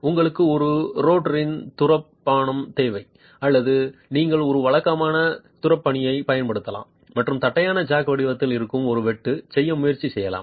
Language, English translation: Tamil, You need a rotary drill or you could use a regular drill and try to make a cut which is in the shape of the flat jack itself